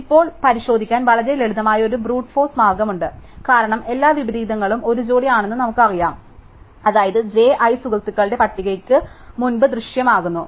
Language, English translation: Malayalam, So, now, there is a very simple brute force way to check, because we know that every inversion is a pair i j, such that j appears before i my friends list